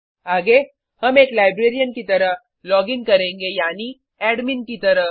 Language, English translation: Hindi, Next, we shall login as the librarian i.e